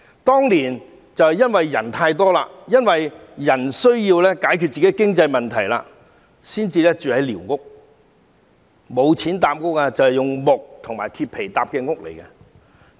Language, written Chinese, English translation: Cantonese, 當年是因為人口太多，市民需要解決本身的經濟問題才會住寮屋，他們當時沒有錢，便用木和鐵皮搭建寮屋。, Back then it was due to over - population and people had to fix their own financial problems that they had to live in squatter huts . They just built squatter huts out of wood and tin as they had no money at the time